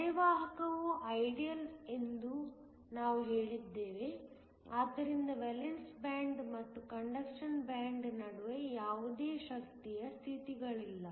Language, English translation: Kannada, We are going to say that you are semi conductor is ideal, so that there are no energy states between the valence band and the conduction band